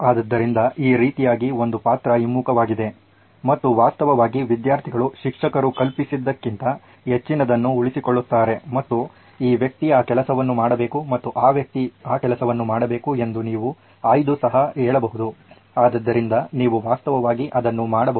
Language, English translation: Kannada, So this way there is a role reversal and actually the students end up retaining a lot lot more then what the teacher could have possibly imagined and you can be selective saying this guy can do this job and that guy can do that job, so you can actually do that